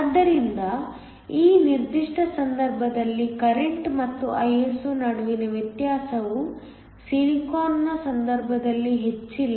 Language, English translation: Kannada, So, In this particular case, the difference between the current and Iso is not as high as in the case of silicon